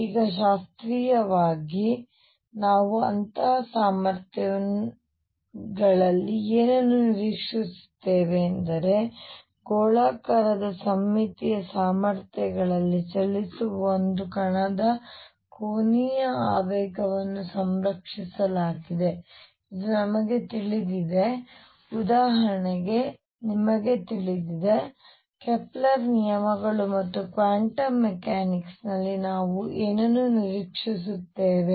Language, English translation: Kannada, Now classically, classically what we expect in such potentials is that angular momentum of a particle moving in spherically symmetric potentials is conserved this is what we know for example, you know Kepler’s laws and all those things follow from there what do we expect in quantum mechanics